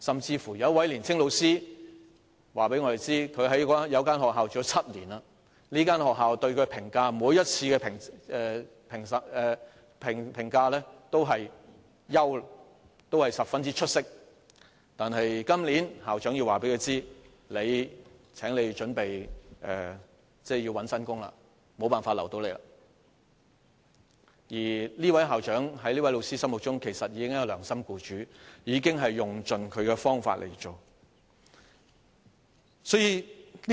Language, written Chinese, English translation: Cantonese, 有一位年青教師甚至告訴我們，他在一所學校任職7年，學校每次對他的評價都是表現優良及十分出色，但校長今年告訴他，請他準備尋找新的工作，學校無法留下他了，而這位校長在這位教師的心中，其實已經是一位良心僱主，已經用盡他的方法來協助他。, A young teacher has even told us that he has worked in a school for seven years and in each appraisal he was commended for good and outstanding performance by the school but this year the principal has told him to be prepared to look for a new job . The school is unable to retain him . In this teachers mind this principal is already a scrupulous employer who has tried his best to help him